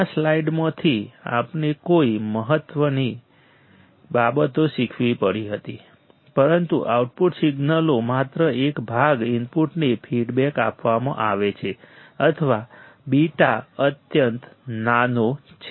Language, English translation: Gujarati, What important things that we had to learn from this slide, but only a part of output signal is fed feedback to the input or beta is extremely small, beta is extremely small